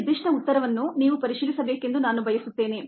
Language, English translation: Kannada, i would like you to verify this particular answer